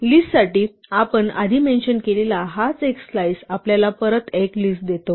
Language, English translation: Marathi, This is what we mentioned before for list a slice gives us back a list